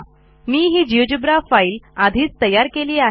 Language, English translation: Marathi, I have already created this geogebra file